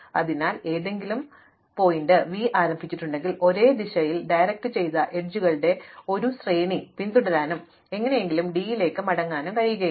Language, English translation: Malayalam, So, if I started any vertex V, it should not be the case that I can follow a sequence of directed edges in the same direction and somehow come back to v